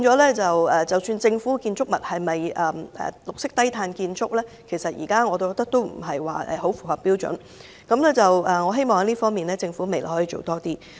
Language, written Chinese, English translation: Cantonese, 我認為政府建築物應該屬於綠色低碳建築，但現時並不太符合標準，我希望政府未來在這方面多做一點。, I hold that government buildings should meet green and low - carbon standards but at present the buildings do not quite meet these standards . I hope the Government will work harder on this